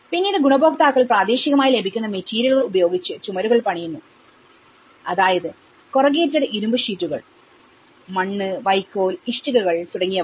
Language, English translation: Malayalam, The beneficiaries will then build the walls with materials locally available such as additional corrugated iron sheets, mud and straw bricks